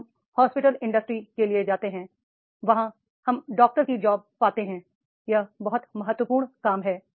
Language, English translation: Hindi, When we go for the hospital industries, then we find the doctor's job that is becoming a very, very important job is there